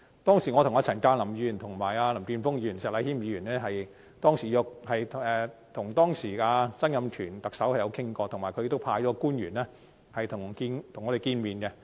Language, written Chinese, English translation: Cantonese, 當時我曾經和陳鑑林議員、林健鋒議員和石禮謙議員跟當時的特首曾蔭權討論，他亦派出官員與我們會面。, At that time Mr CHAN Kam - lam Mr Jeffery LAM and Mr Abraham SHEK and I had a discussion with then Chief Executive Donald TSANG who had also sent officials to meet us